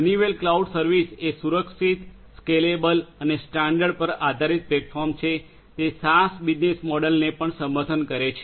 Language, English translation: Gujarati, Honeywell cloud service is a secured, scalable and standard based platform, it supports SaaS business models as well